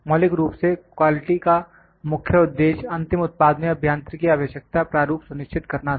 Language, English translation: Hindi, Originally, the goal of the quality was to ensure that engineering requirement format in final products